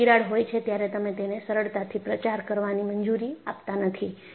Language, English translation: Gujarati, When there is a crack, you do not allow it to propagate easily